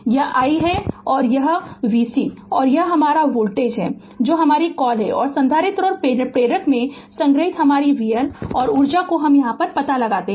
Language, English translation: Hindi, This is i and this is v C and this is your voltage your what you call and your v L right and energy stored in the capacitor and inductor this we have to find out